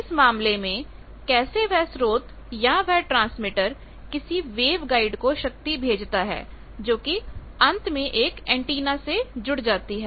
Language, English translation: Hindi, In that case how that power, the source of that or the transmitter that sends the power to a wave guide and that finally, connects to an antenna